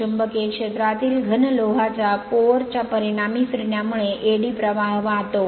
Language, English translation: Marathi, The rotation of a solid iron core in the magnetic field results in eddy current right